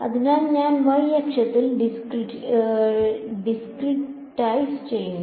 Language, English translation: Malayalam, So, I should discretize along the y axis right